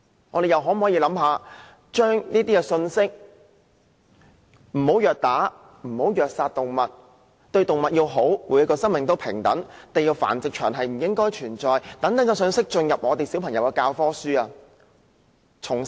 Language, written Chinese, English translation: Cantonese, 我們又可否考慮把不要虐打、虐殺動物、要好好對待動物、所有生命平等、"地獄繁殖場"不應存在等信息加入小朋友的教科書？, Besides can we consider incorporating into childrens textbooks such messages as no assault on or brutal killing of animals treating animals well all lives being equal and putting an end to the existence of hellish breeding facilities?